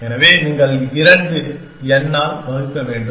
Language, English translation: Tamil, So, you have divide by 2 n